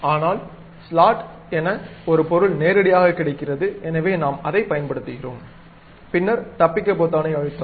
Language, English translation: Tamil, But there is an object straight forwardly available as straight slot; so, we are using that, then press escape